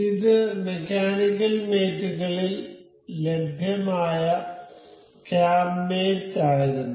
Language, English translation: Malayalam, So, this was cam mate available in mechanical mates